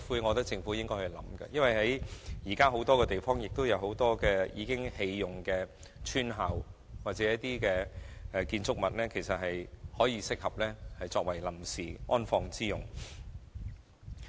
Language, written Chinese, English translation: Cantonese, 我認為這是政府必須考慮的，因為現時全港有很多已荒廢的村校或建築物適合作為臨時安放骨灰之用。, I think this is the option that the Government should explore given that there are currently many abandoned village schools or buildings in Hong Kong that are suitable for temporary storage of ashes